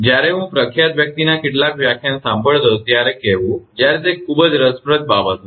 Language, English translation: Gujarati, When I was listening some lecture from renowned person say, when it is a very interesting thing